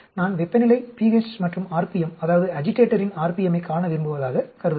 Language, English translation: Tamil, Imagine I want to look at temperature, pH and rpm, that is, agitator rpm